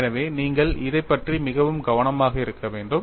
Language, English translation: Tamil, So, that is what you have to be very careful about it